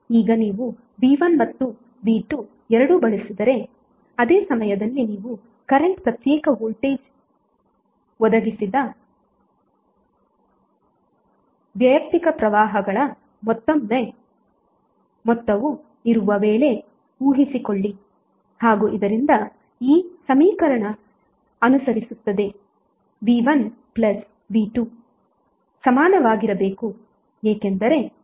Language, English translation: Kannada, Now when you apply both V1 and V2 at the same time suppose if you are current should be sum of individual currents provided by individual voltages and it will follow this equation like V1 plus V2 would be equal to i1 R plus i2 R